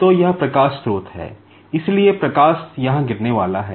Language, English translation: Hindi, So, this is the light source; so, light is going to fall here